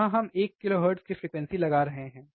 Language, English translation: Hindi, Here we are applying one kilohertz frequency